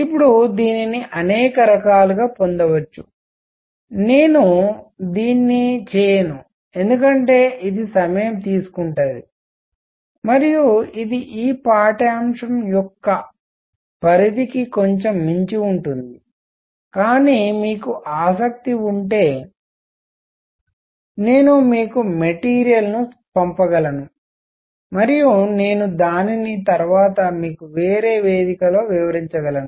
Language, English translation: Telugu, Now, this can be derived in many different ways, I am not going to do it because this is going to take time and it slightly beyond the scope of this course, but if you are interested I can send you material and I can explain it to you later at different forum